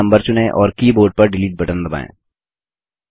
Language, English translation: Hindi, Then select the number and press the Delete key on the keyboard